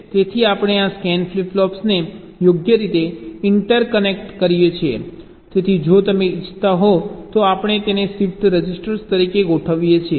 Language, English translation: Gujarati, ok, so we interconnect this scan flip flops in a suitable way so that we can configure it as a shift register, if you want